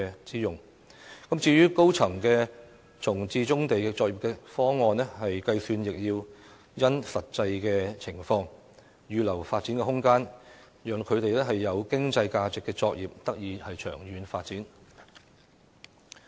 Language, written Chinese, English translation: Cantonese, 至於以多層樓宇容納棕地作業的方案，當局應因應實際情況作出計算，預留發展空間，讓具有經濟價值的作業得以長遠發展。, As for the proposal to accommodate brownfield operations in multi - storey buildings the authorities should make calculations based on actual circumstances and reserve development space to allow operations of economic value to develop in the long run